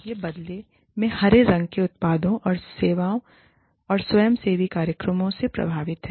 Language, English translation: Hindi, Now, this is in turn affected by, and results in, green products and services, and volunteer programs